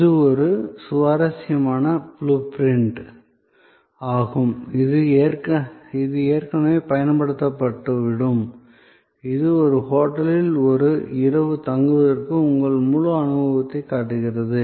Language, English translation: Tamil, So, this is an interesting blue print that will get already used before, it shows your entire set of experience of staying for a night at a hotel